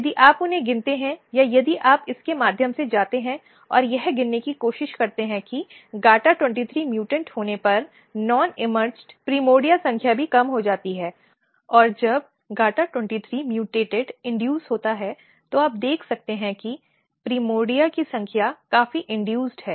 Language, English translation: Hindi, If you count them or or if you go through this and try to count you find that non emerged primordial number is also decreased when GATA23 is mutated and when GATA23 is induced you can see that number of primordia significantly induced